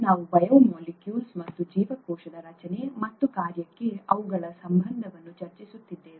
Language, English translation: Kannada, We are discussing biomolecules and their relationship to cell structure and function